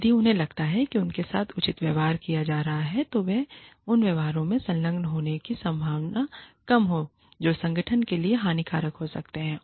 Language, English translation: Hindi, If they feel, that they are being treated fairly, they are less likely to engage in behaviors, that can be detrimental, to the organization